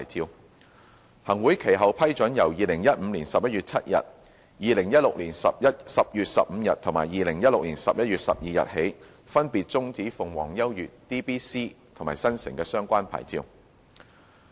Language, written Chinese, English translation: Cantonese, 行政長官會同行政會議其後批准由2015年11月7日、2016年10月15日及2016年11月12日起，分別終止鳳凰優悅、DBC 及新城的相關牌照。, Subsequently the Chief Executive in Council approved the termination of the DAB licences of Phoenix U DBC and Metro with effect from 7 November 2015 15 October 2016 and 12 November 2016 respectively